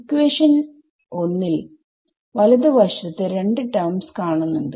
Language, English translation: Malayalam, In equation 1, I have 2 terms on the right hand side right